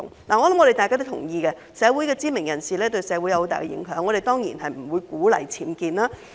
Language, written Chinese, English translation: Cantonese, 我相信大家都同意，社會的知名人士對社會有很大影響，我們當然不會鼓勵僭建。, I believe we all agree that community celebrities have great influence on society and we certainly do not encourage constructing UBWs